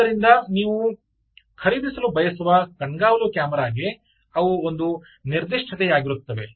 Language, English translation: Kannada, so they will be a specification for the surveillance camera that you want to buy